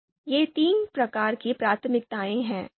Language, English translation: Hindi, So these three types of priorities are there